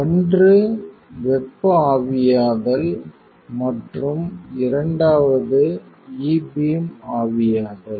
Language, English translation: Tamil, One with thermal evaporation and the second one with the E beam evaporation, right